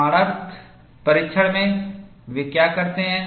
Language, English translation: Hindi, In proof testing, what do they do